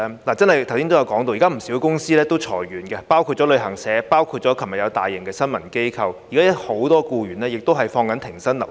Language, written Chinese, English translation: Cantonese, 大家剛才提到，現在有不少公司裁員，包括旅行社和昨天解僱大批員工的大型新聞機構，還有很多僱員現正停薪留職。, Members mentioned the recent layoffs of a number of companies including travel agents the massive dismissal of employees in a large press organization yesterday and the fact that many employees have been placed on no - pay leave